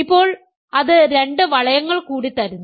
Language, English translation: Malayalam, Now, that leaves two now two more rings